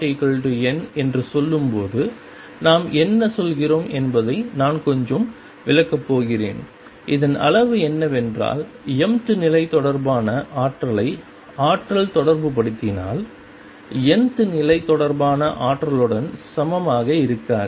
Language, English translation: Tamil, I am going to explain in a bit what we mean when we say m is not equal to n, what it would amount 2 is that if the energy relate energy related to mth level is not equal to energy related to nth level